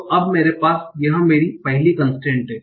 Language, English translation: Hindi, So now I have, so this is my constraint 1